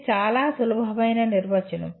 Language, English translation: Telugu, It is a very simple definition